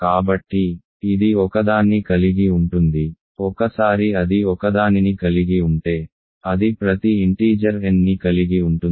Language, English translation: Telugu, So, it contains one; once it contains one it contains every integer n